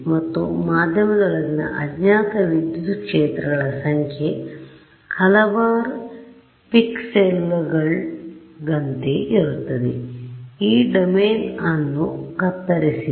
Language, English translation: Kannada, And, that will be and the number of unknown electric fields inside the medium is the same as a number of pixels, that I have slash this domain into right